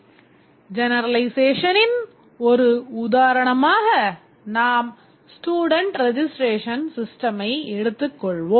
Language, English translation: Tamil, One example of generalization, let's say student registration system